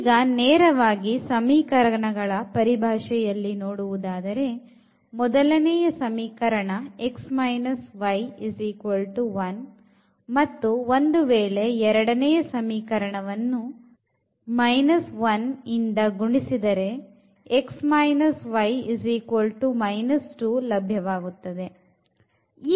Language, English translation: Kannada, In terms of the equations if we want to see directly because, the first equation is x minus y is equal to 1 and if I multiply here the equation number 2 by minus 1 we will get x minus y is equal to minus 2